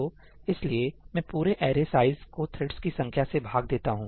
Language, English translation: Hindi, So, I divide the whole array size by the number of threads